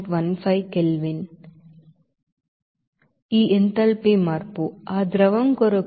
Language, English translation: Telugu, 15 Kelvin this enthalpy change, it will be for that liquid it will be 22